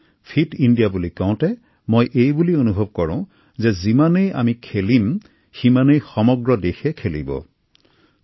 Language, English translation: Assamese, When I say 'Fit India', I believe that the more we play, the more we will inspire the country to come out & play